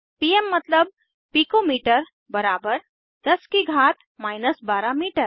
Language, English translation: Hindi, pm is pico metre= 10 to the power of minus 12 metres